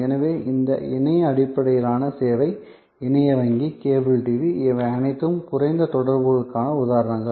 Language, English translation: Tamil, So, these internet based service, internet banking, cable TV, these are all examples of low contact